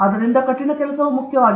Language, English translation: Kannada, So, therefore, hard work is the key